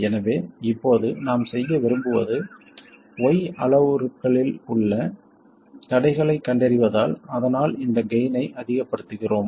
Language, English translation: Tamil, So, now what we want to do is find out the constraints on Y parameters so that we maximize this gain